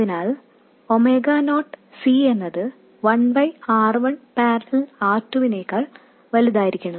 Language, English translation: Malayalam, So, omega not c must be much greater than 1 by r1 parallel r2